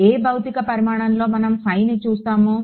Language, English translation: Telugu, What physical quantity was my phi